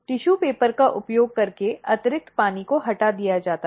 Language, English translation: Hindi, The excess water is removed using the tissue paper